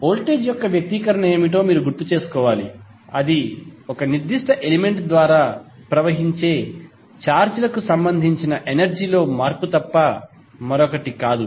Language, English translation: Telugu, You have to recollect what is the expression for voltage, that is nothing but change in energy with respect to charges flowing through that particular element